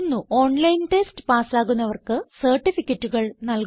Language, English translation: Malayalam, They also give certificates to those who pass an online test